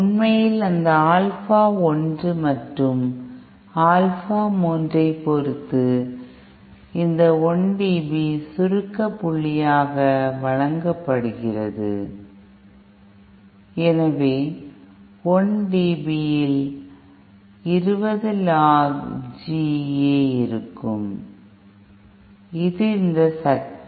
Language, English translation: Tamil, And in fact, in terms of those Alpha 1 and Alpha 3, this 1 dB compression point is given byÉ So at the 1 dB, we will have 20 log g A in 1dB that is this power